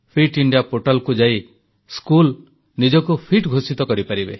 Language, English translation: Odia, The Schools can declare themselves as Fit by visiting the Fit India portal